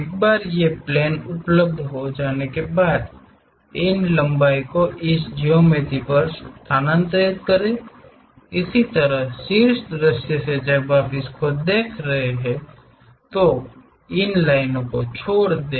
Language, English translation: Hindi, Once this planes are available, transfer these lengths onto this geometry, similarly from the top view when you are looking at it drop these lines